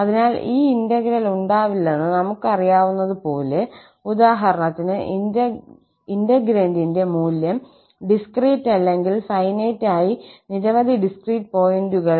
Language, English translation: Malayalam, So, as we know that this integral does not read, for example, the value of the integrand at discrete or at finitely many discrete points